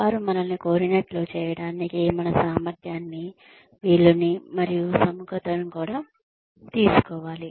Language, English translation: Telugu, They should also take our ability, and inclination, willingness, to do what we are being asked to do